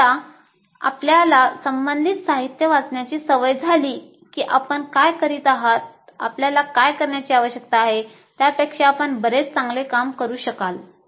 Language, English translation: Marathi, Once you get into the habit of reading, literature related to that, you will be able to do much better job of what you would be doing, what you need to do